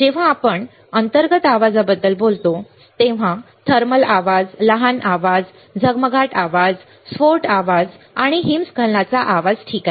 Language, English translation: Marathi, When we talk about internal noise, there are thermal noise, short noise, flicker noise, burst noise and avalanche noise all right